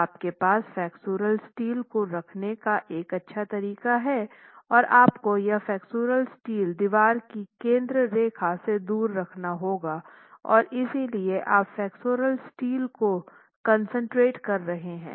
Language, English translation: Hindi, Mind you, you are placing a flexual steel farthest away from the center line of the wall itself and therefore you're concentrating the flexual steel